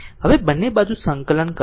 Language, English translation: Gujarati, Now, you integrate both side